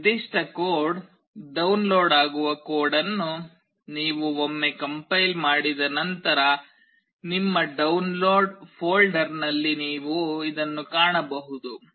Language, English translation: Kannada, Once you compile the code this particular code gets downloaded, you can find this in your download folder